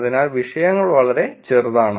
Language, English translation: Malayalam, So, the topics are pretty small